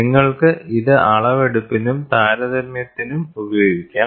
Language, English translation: Malayalam, You can use this for measurement as well as comparison